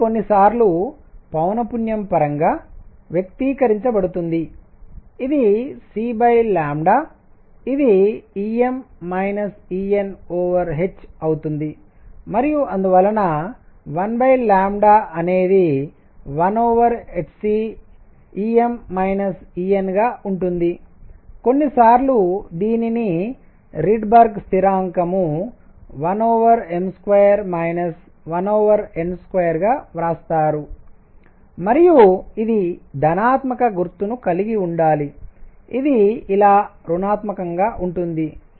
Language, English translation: Telugu, This is sometimes expressed in terms of frequency this is C over lambda is going to be E m minus E n over h and therefore, 1 over lambda is going to be 1 over h c E m minus E n, sometimes this is written as Rydberg constant 1 over m square minus 1 over n square and this is to have a positive sign, this is going to be negative like this, all right